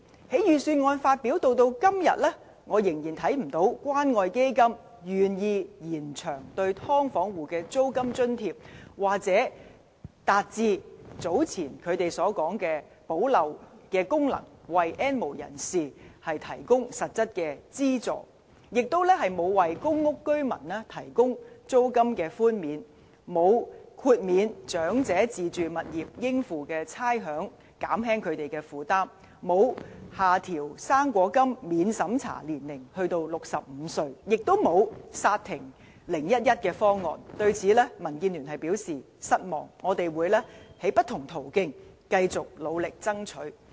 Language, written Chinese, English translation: Cantonese, 由預算案發表至今，我仍然看不到關愛基金願意延長對"劏房戶"的租金津貼，或達致早前他們所說的"補漏"功能，為 "N 無人士"提供實質資助；也沒有為公屋居民提供租金寬免；沒有豁免長者自住物業應付的差餉，減輕他們的負擔；沒有下調"生果金"免審查年齡至65歲；也沒有剎停 "0-1-1" 方案，對此，民建聯表示失望，我們會透過不同途徑，繼續努力爭取。, Since the publication of the Budget I have seen no sign that the Community Care Fund CCF is willing to extend the term of rental allowance for households living in subdivided units so far . Likewise there is no indication that CCF has really fulfilled its purpose to fill the gaps in the existing system by providing actual help to the N have - nots . Furthermore the Budget has granted no rent wavier to residents in public rental housing and given no rates waiver to elderly owner - occupiers in order to alleviate their burdens nor has it lowered the age requirement for non - means tested fruit grant to 65 as well as halting the 0 - 1 - 1 proposal